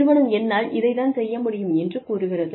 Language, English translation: Tamil, That the company says, this is all, I can afford